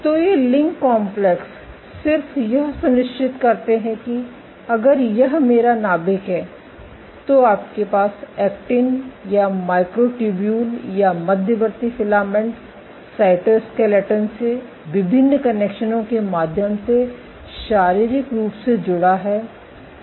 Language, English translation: Hindi, So, these LINC complexes just make sure, that if this is my nucleus you have a physical connection from actin or micro tubula or intermediate filament cytoskeletons to the inside of the nucleus through various connections